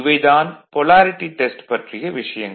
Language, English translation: Tamil, Next is Polarity Test